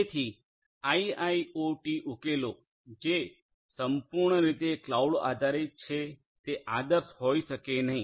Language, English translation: Gujarati, So, IIoT solutions which are purely cloud based may not be ideal